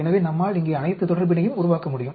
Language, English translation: Tamil, So, we can build up all the relationship here